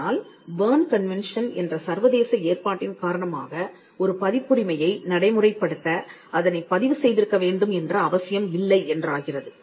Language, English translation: Tamil, But because of an international arrangement called the Berne convention it is not necessary to get a registration of a copyright to enforce it